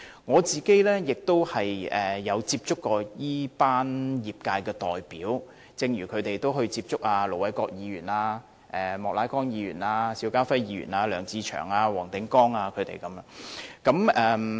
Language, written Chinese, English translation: Cantonese, 我也曾接觸這群業界代表，正如他們也曾接觸盧偉國議員、莫乃光議員、邵家輝議員、梁志祥議員和黃定光議員。, I have contacted representatives of the industry and they have also contacted Ir Dr LO Wai - kwok Mr Charles Peter MOK Mr SHIU Ka - fai Mr LEUNG Che - cheung and Mr WONG Ting - kwong